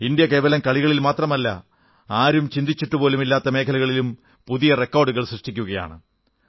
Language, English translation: Malayalam, India is setting new records not just in the field of sports but also in hitherto uncharted areas